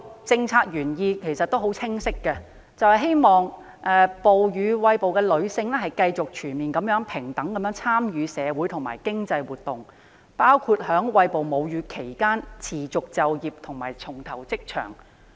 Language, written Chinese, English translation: Cantonese, 政策原意十分清晰，就是希望餵哺母乳的女性繼續全面平等參與社會和經濟活動，包括在餵哺母乳期間持續就業和重投職場。, The policy intent is very explicit ie . it is hoped that breastfeeding women will continue to fully and fairly participate in social and economic activities including staying in or rejoining the workforce while breastfeeding